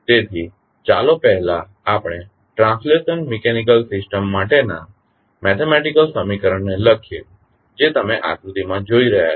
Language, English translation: Gujarati, So, let us first write the mathematical equation for the translational mechanical system, which you are seeing in the figure